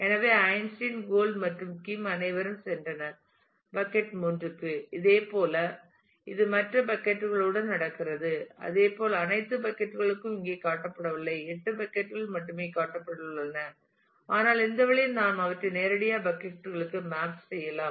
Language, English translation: Tamil, So, that Einstein gold and Kim came all go to the bucket 3 similarly it happens with the other buckets as well not all buckets are shown here shown only 8 buckets are shown, but in this way we can actually directly map them to the buckets